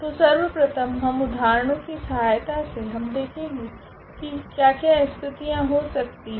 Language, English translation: Hindi, So, first we will see with the help of many examples that what are the situations arises here